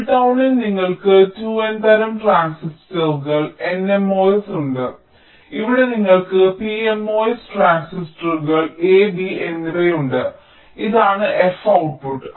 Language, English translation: Malayalam, so in the pull down you have the two n type transistors, n mos, and here you have the p mos, transistors a and b, and this is the output